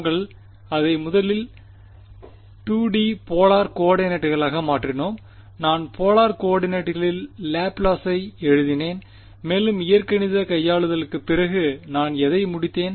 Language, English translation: Tamil, We converted it first to 2D polar coordinates I wrote down the Laplace in the polar coordinates and after some amount of algebraic manipulation, what did I end up with